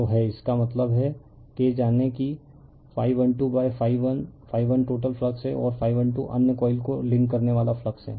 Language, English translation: Hindi, So is; that means, K is equal to you know that phi 1 2 upon phi 1, phi 1 is the total flux and phi 1 2 is the flux linking the other coil